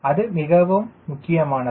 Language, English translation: Tamil, that is important